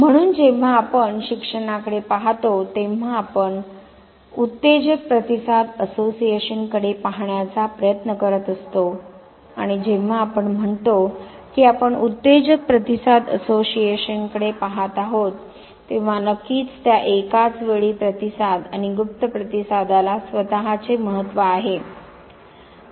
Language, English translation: Marathi, So, when we look at learning we are basically trying to look at stimulus responses association and when we say that we are looking at stimulus response association organism of course has his or her own importance when at the same time response means overt as well as the covert response